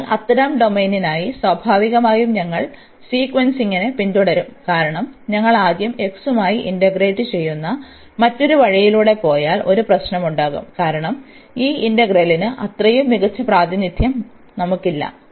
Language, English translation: Malayalam, So, for such domain naturally we will follow the sequencing because if we go the other way round that first we integrate with respect to x, then there will be a problem, because we do not have a such a nice representation of this whole integral so or whole domain here